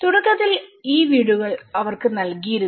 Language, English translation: Malayalam, Initially, they were given these house